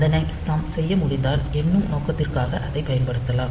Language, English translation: Tamil, So, if we can do that then, we can use it for this counting purpose